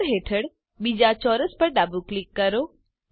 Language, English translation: Gujarati, Left click the second square under Layers